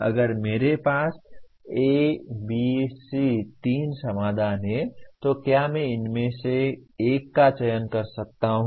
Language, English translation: Hindi, If I have A, B, C three solutions with me, can I select one out of these